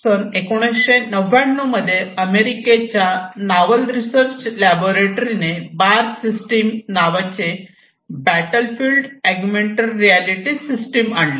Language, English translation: Marathi, In 1999 the US Naval Research laboratory came up with the BARS system which is the battlefield augmented reality system